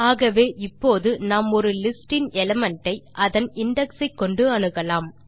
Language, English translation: Tamil, So now we can access an element of a list using corresponding index